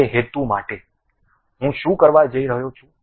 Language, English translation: Gujarati, For that purpose, what I am going to do